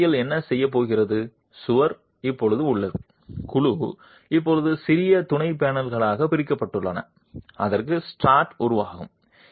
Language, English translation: Tamil, Basically what is going to do is the wall is now the panel is now divided into smaller subpanels within which the strut will develop